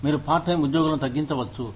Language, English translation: Telugu, You could cut, part time employees